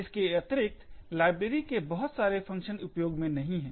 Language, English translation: Hindi, Furthermore, most of the functions in the library are unused